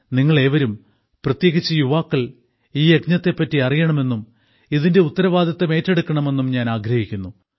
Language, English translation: Malayalam, I would like all of you, and especially the youth, to know about this campaign and also bear responsibility for it